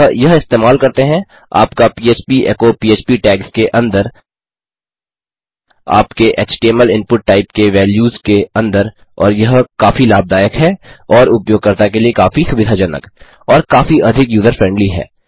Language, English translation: Hindi, So using this, your php echo inside php tags, inside the values of your html input type and it so useful and so much more convenient for the user and much more user friendly